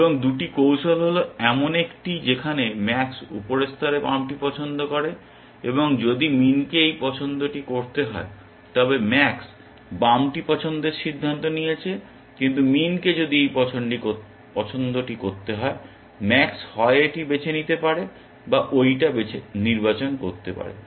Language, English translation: Bengali, And the 2 strategies are the one where max makes the left choice at the top level, and if min were to make this choice then, max has decided the left choice, but if min were to make this choice, max could either choose this or it could choose that